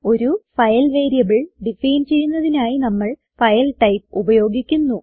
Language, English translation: Malayalam, To define a file variable we use the type FILE